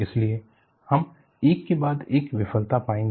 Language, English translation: Hindi, So, we will go one failure after the other